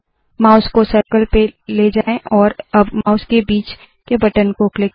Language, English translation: Hindi, Move the mouse to the circle and now click the middle mouse button